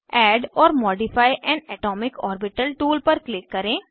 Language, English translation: Hindi, Click on Add or modify an atomic orbital tool